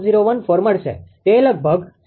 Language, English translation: Gujarati, 001014; it comes around 0